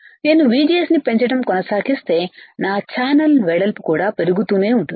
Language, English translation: Telugu, If I keep on increasing VGS my channel width will also keep on increasing right